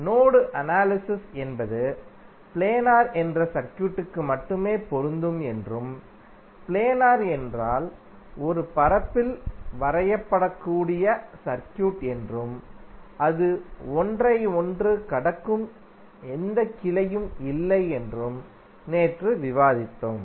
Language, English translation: Tamil, Yesterday we also discussed that the mesh analysis is only applicable to circuit that is planar, planar means the circuit which can be drawn on a plane and it does not have any branch which are crossing one another